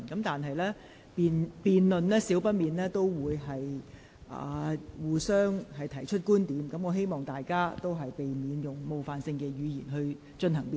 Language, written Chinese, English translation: Cantonese, 議員在辯論中難免會提出不同觀點，但不應使用冒犯性言詞。, Although the views presented will inevitably be different Members should not make offensive remarks